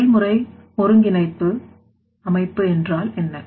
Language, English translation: Tamil, What is that process integration system